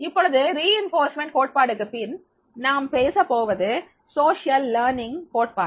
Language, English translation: Tamil, Now after there is these reinforcement theory, the another theory now we will talk about social learning theory